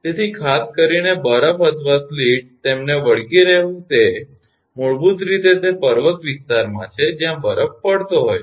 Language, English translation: Gujarati, So, particularly ice or sleet clinging to them it is basically in the mountain area where snow fall is there